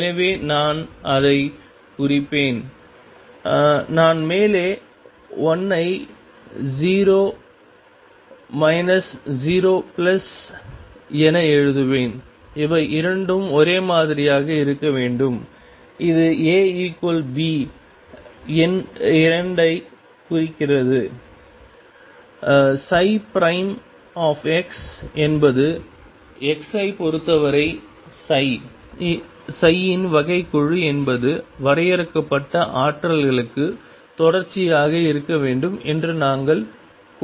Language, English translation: Tamil, So, I will denote that; I will write the upper 1 as 0 minus 0 plus and the 2 should be the same and this implies A equals B number 2, we had demanded that psi prime x that is the derivative of psi with respect to x be continuous for finite potentials